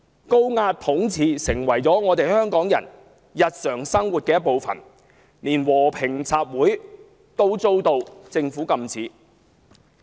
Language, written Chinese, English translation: Cantonese, 高壓統治成為香港人日常生活的一部分，連和平集會也被政府禁止。, Oppressive rule under which even peaceful assemblies were forbidden by the Government has become a part of the everyday life of Hongkongers